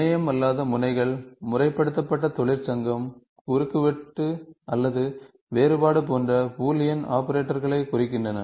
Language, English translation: Tamil, Non terminal nodes represent Boolean operations, such as regularised union intersection or different